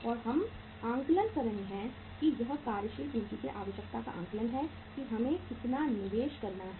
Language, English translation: Hindi, And we are assessing the assessment is this assessment of the working capital requirement means how much investment we have to make